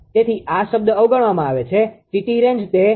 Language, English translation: Gujarati, So, this term is neglected T t range it will be in 0